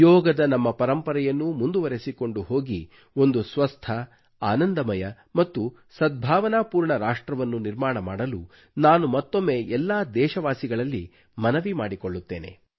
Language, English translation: Kannada, Once again, I appeal to all the citizens to adopt their legacy of yoga and create a healthy, happy and harmonious nation